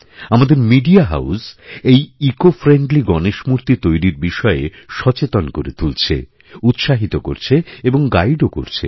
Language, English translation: Bengali, Media houses too, are making a great effort in training people, inspiring them and guiding them towards ecofriendly Ganesh idols